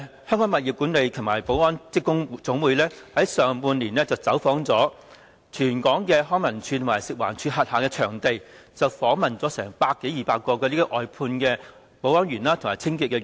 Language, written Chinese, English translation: Cantonese, 香港物業管理及保安職工總會在上半年走訪了全港康樂及文化事務署及食物環境衞生署轄下場地，訪問了百多二百位外判保安員和清潔員。, The Hong Kong Buildings Management and Security Workers General Union visited venues under the Leisure and Cultural Services Department LCSD and the Food and Environmental Hygiene Department FEHD in the first half of the year and interviewed some 200 outsourced security guards and cleaning workers